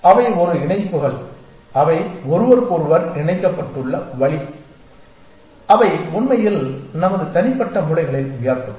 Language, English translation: Tamil, And they are it is a connections it is the way that they are connected to each other that really give raise to our individual brains essentially